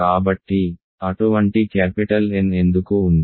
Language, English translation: Telugu, So, why is that such a capital N exists